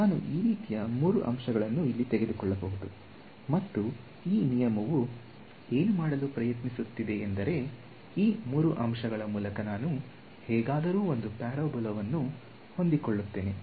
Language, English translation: Kannada, So, I can take some three points like this over here, and what this rule will try to do is ok, let me somehow fit a parabola through these three points